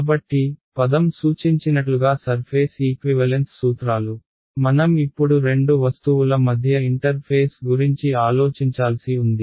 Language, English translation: Telugu, So, surface equivalence principles as you can the word suggest I have to now think of the interface between two objects ok